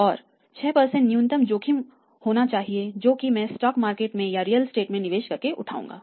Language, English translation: Hindi, And 6 % should be minimum risk the premium for the risk which I am taking by same coming to the stock market, investing in the real estate